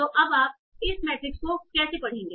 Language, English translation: Hindi, So now how do you read this matrix